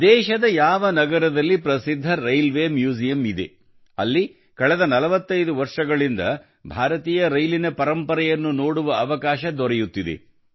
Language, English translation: Kannada, Do you know in which city of the country there is a famous Rail Museum where people have been getting a chance to see the heritage of Indian Railways for the last 45 years